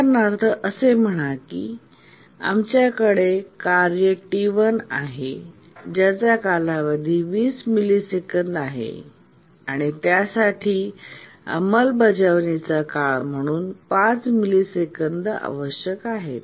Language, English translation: Marathi, Just to give an example, let's say we have task T1 whose period is 20 milliseconds requires 5 millisecond execution time